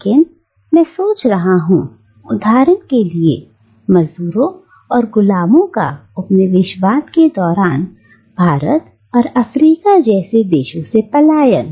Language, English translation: Hindi, But I am thinking, for instance, of the dispersion of slaves and indentured labourers during colonialism from places like India, for instance, and Africa